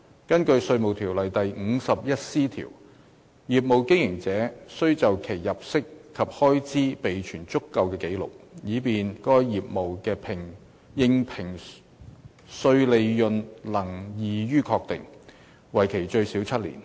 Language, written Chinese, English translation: Cantonese, 根據《稅務條例》第 51C 條，業務經營者須就其入息及開支備存足夠的紀錄，以便該業務的應評稅利潤能易於確定，為期最少7年。, Under section 51C of IRO a business operator shall keep sufficient records of his income and expenditure for a period of not less than seven years so as to enable the assessable profits of such business to be readily ascertained